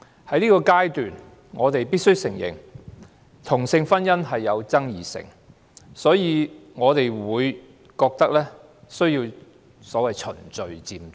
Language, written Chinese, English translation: Cantonese, 在現階段，我們必須承認同性婚姻具爭議性，所以我們覺得需要所謂循序漸進。, At the present stage we must admit that same - sex marriage is controversial so we believe the so - called progressive approach is necessary